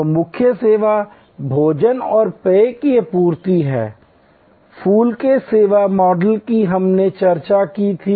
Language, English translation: Hindi, So, the core service is supply of food and beverage, we had discussed that model of flower of service